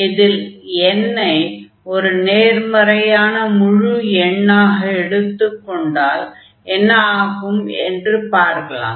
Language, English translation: Tamil, So, suppose here n is a positive number